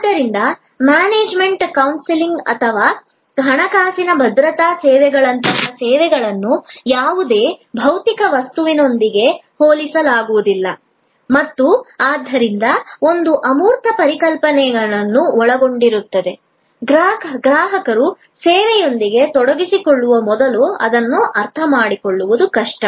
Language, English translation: Kannada, So, services like management consultancy or financial security services cannot be compared with any physical object and therefore, there is an abstract set of notions involved, which are difficult to comprehend before the customer engages with the service